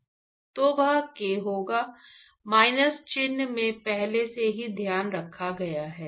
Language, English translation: Hindi, forgot a here; that will be k into minus sign is already taken care of